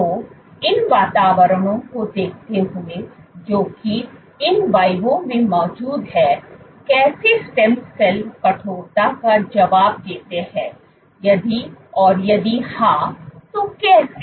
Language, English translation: Hindi, So, given these environments which exist in vivo, how do stem cells respond to the stiffness if at all and if yes, how